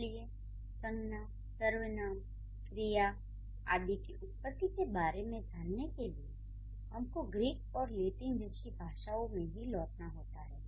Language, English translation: Hindi, So, the origin of such kinds of nouns, pronounced verbs, these, these, the origin of this, it goes back to the languages like Latin and Greek